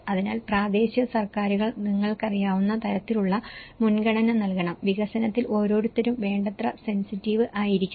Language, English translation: Malayalam, So, the local governments have to give that kind of priority that you know, one has to be sensitive enough in the development